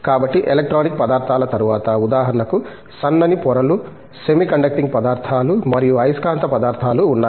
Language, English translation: Telugu, So, after electronic materials, for example, thin films, semi conducting materials and magnetic materials